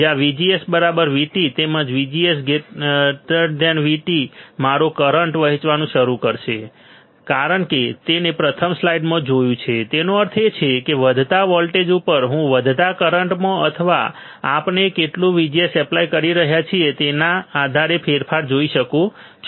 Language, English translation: Gujarati, Where VGS equals to V T as well as VGS is greater than V T my current can start flowing we have seen this in the first slide right; that means, on increasing voltage, I can see change in increasing current or depending on how much VGS we are applying